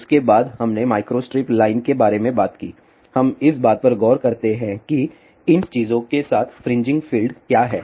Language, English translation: Hindi, After that we talked about micro strip line we do not look into what are the fringing fields associated with these thing